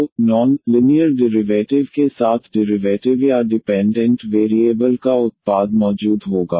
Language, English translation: Hindi, So, in the non linear one the product of the derivative or the dependent variable with the derivative we will exist